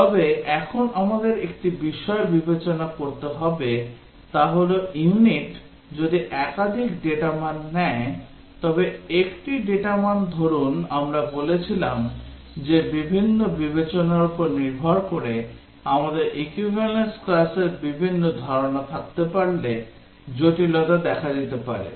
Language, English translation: Bengali, But, one thing we need to now consider is that if unit takes multiple data values, say one data value we said that the complexity might arise if we can have different notions of equivalence classes depending on different considerations